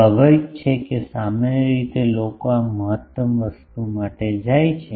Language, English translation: Gujarati, Obviously, generally people go for this maximum thing